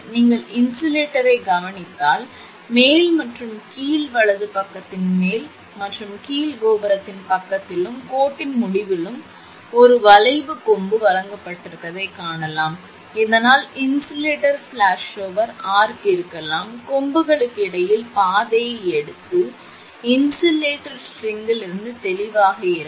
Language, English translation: Tamil, If you observe the insulator, you will find on the top and bottom of the top and bottom right is provided with an arcing horn at the tower end on the tower side and the line end, so that the event of insulator flashover, the arc may take the path between the horns and stay clear of the insulator string